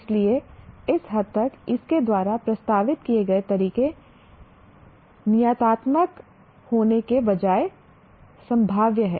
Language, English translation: Hindi, So to that extent, the methods proposed by this are probabilistic rather than deterministic